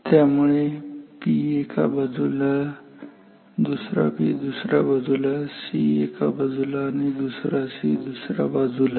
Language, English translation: Marathi, So, one P on one side another P on another side, one C on one side, another C on another side